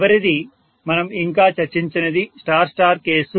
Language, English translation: Telugu, The last one which we have still not discussed is the star star case